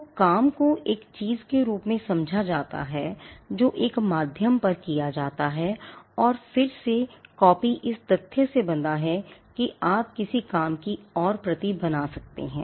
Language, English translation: Hindi, So, work is understood as something that comes on a medium and copy again it is tied to the fact that you can make a further copy of a work